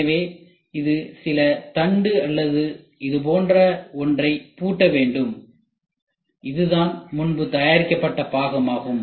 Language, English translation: Tamil, So, it is supposed to lock some shaft or something like that so this is what is the previous component which is made